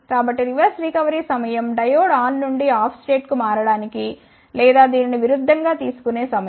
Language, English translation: Telugu, So, reverse recovery time is the time taken for a diode to switch from on [stafe/state] to the off a state or vice versa